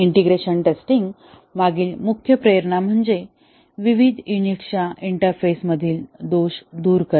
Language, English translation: Marathi, And, the main motivation behind integration testing is to remove the faults at the interfaces of various units